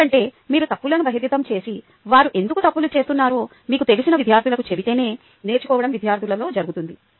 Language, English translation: Telugu, because only if you revealing the mistakes and then telling the students you know why they are committing the mistakes